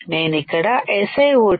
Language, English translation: Telugu, I have to etch SiO 2